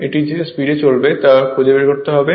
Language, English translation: Bengali, You have to find out what is the speed right